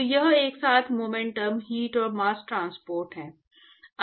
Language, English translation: Hindi, So, this is simultaneous momentum, heat and mass transport